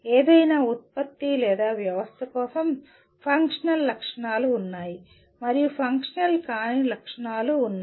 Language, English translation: Telugu, There are for any product or system there are functional specifications and there are non functional specifications